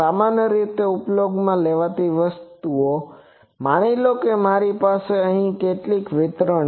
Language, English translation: Gujarati, Most commonly use things suppose I have some distribute suppose I have some function here